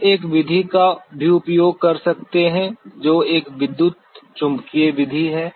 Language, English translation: Hindi, We can also use a method which is an electromagnetic method